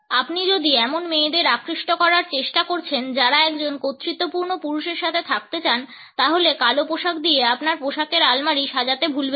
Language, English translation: Bengali, If you are trying to attract girls who want to be with an authoritative man, then do not forget to customize your wardrobe with black clothes